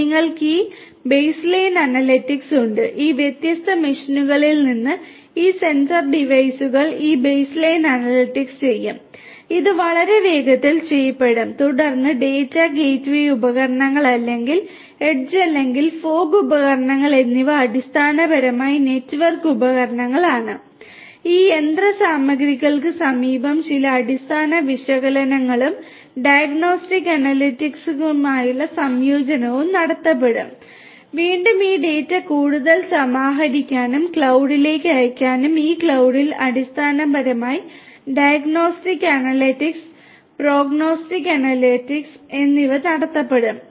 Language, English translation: Malayalam, You have this baseline analytics, from these different machines, these sensor devices this baseline analytics will be done over there that will be done very fast data will be aggregated and then at the gateway devices or edge or fog devices which are basically network equipments that are close to this machinery some baseline analytics and a combination with diagnostic analytics will be performed and again this data are going to be further aggregated, sent to the cloud and in this cloud basically diagnostic analytics and prognostic analytics will be performed